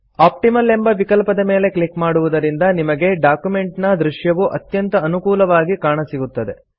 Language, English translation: Kannada, On clicking the Optimal option you get the most favorable view of the document